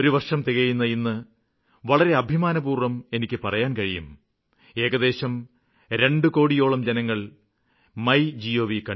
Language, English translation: Malayalam, And today I am pleased to share this after one year that nearly two crore people have visited MyGov website